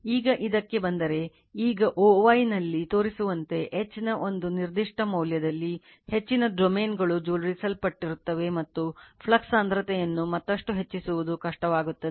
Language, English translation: Kannada, Now, if you come to this, now at a particular value of H as shown in o y, most of the domains will be you are aligned, and it becomes difficult to increase the flux density any further